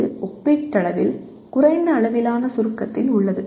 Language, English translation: Tamil, It exists at relatively low level of abstraction